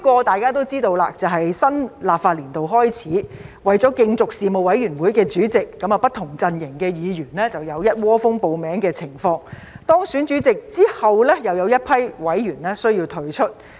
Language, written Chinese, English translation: Cantonese, 大家也知道，其中一個是當新立法年度開始時，為了競逐事務委員會的主席，不同陣營的議員有一窩蜂報名的情況，而當選了主席後，又有一批委員需要退出。, As we know one of these problems is that at the beginning of a new legislative session in order to compete for the chairmanship of Panels Members from different camps would rush to sign up for membership but many members have to withdraw after the Chairmen have been elected